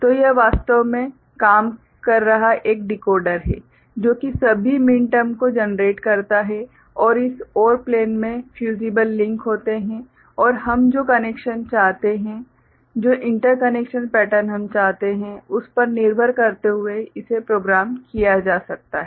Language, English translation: Hindi, So, it is a decoder actually working, generating all the minterms right and in this OR plane right there are fusible links and depending on the connection we want, the interconnection pattern that we want, so this can be programmed